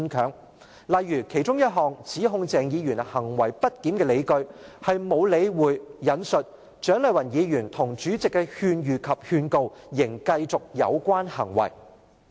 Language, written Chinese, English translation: Cantonese, 舉例而言，其中一項指控鄭議員行為不檢的理據是沒有理會"蔣麗芸議員及立法會主席的勸喻及警告，仍繼續有關行為"。, For example one reason for accusing Dr CHENG of misbehaviour is that he continued to do so despite repeated advice and warnings by Dr CHIANG and the President